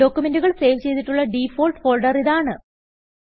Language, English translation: Malayalam, This is the default folder in which the document is saved